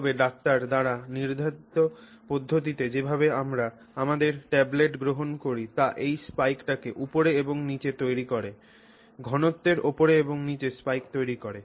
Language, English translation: Bengali, But the typical way in which we take tablets as prescribed by the doctor creates this spike up and down, spike up and down of concentration